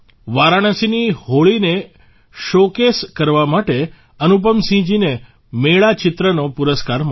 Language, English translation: Gujarati, Anupam Singh ji received the Mela Portraits Award for showcasing Holi at Varanasi